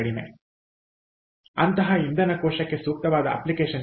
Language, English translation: Kannada, so what is an ideal application for such a fuel cell